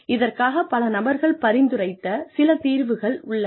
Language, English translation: Tamil, So, some solutions have been suggested, by various people